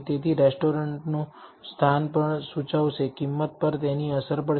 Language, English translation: Gujarati, So, location of the restaurant also would indicate, would have a effect on, the price